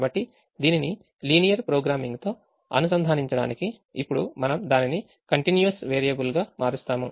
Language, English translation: Telugu, now we said that this is a binary problem, so to relate it to linear programming, we will now change it to a continuous variable